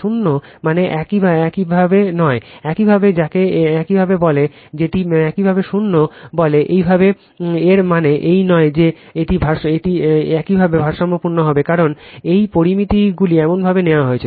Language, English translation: Bengali, Zero does not means your, what you call that it is your what you call zero your it does not mean that you will become balanced, because these parameters are taken in such a fashion